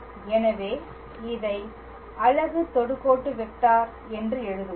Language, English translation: Tamil, So, let us write this as unit tangent vector